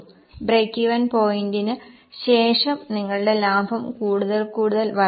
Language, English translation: Malayalam, After break even point, your profitability will increase more and more